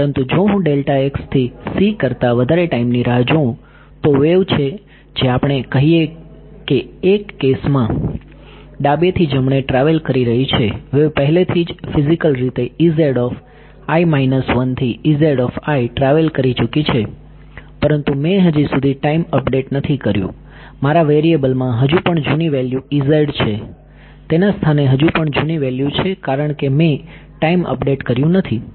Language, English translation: Gujarati, But if I wait for a time greater than delta x by c then the wave has which is let us say in one case travelling from left to right the wave has already travelled from E z i minus 1 to E z i has physically travelled, but I did not since I have not yet done a time update my variable still contained the old value in the location of E z i it still has an old value because I have not done the time update